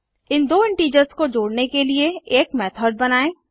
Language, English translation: Hindi, Let us create a method to add these two integers